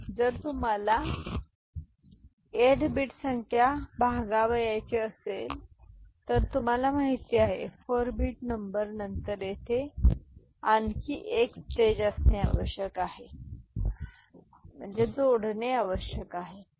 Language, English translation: Marathi, If you want 8 bit number to be divided by is you know, 4 bit number then 1 more stage here over here need to be need to be added, ok